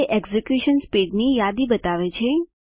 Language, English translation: Gujarati, It shows a list of execution speeds